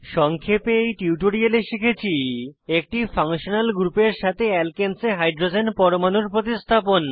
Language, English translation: Bengali, In this tutorial we have learnt to * Substitute the hydrogen atom in alkanes with a functional group